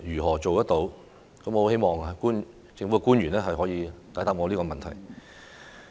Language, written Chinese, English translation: Cantonese, 我十分希望政府官員能夠解答我這個問題。, I am eager to know the government officials reply to my question